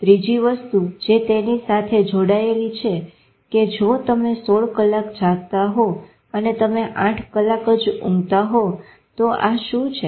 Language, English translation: Gujarati, Third thing which was linked to it that if you awake for 16 hours you sleep for 8 hours, what are these